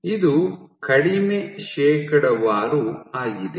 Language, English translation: Kannada, So, this is a small percentage